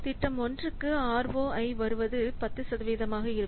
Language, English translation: Tamil, So, for project 1, ROI is coming to be 10%